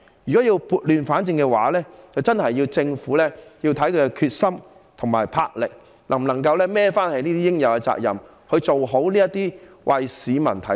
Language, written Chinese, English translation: Cantonese, 如果要撥亂反正，真的須視乎政府的決心及魄力，是否足以負起這些應有的責任，處理好這些為市民提供服務的機構。, If we want to set things right again it really depends on whether or not the resolve and vision of the Government are adequate for it to assume its due responsibilities and properly deal with these organizations providing services to the public